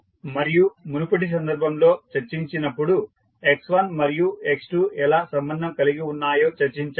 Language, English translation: Telugu, So just previous case when we discussed, we discuss that how x1 and x2 related